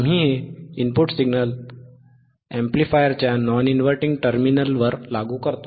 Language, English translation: Marathi, We apply this input signal to the non inverting terminal of the amplifier